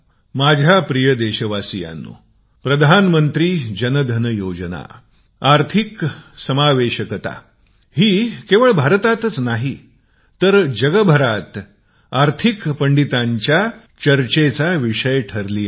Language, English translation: Marathi, My dear countrymen, the Pradhan Mantri Jan DhanYojna, financial inclusion, had been a point of discussion amongst Financial Pundits, not just in India, but all over the world